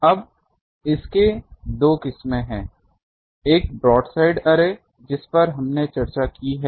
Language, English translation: Hindi, Now, that has two varieties; one is broadside array that we have discussed